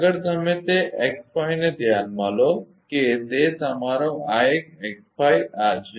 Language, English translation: Gujarati, Next you consider that x 5 right that is your this one x 5 this one